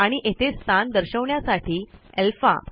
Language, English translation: Marathi, So then, the position will be Alpha..